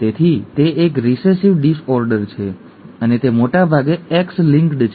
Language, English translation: Gujarati, Therefore it is a recessive disorder and it is most likely X linked